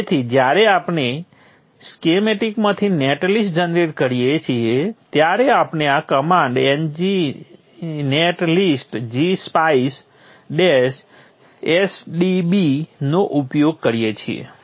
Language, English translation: Gujarati, So when we generated the net list from the schematic, we used a command like this, G netlist, dash, G, spice, sdb, so on, so on